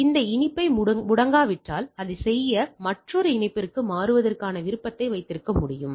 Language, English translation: Tamil, So, if the connectivity goes off then I can have a option of switching to another connectivity to do that